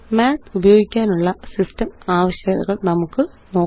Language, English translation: Malayalam, Let us look at the System requirements for using Math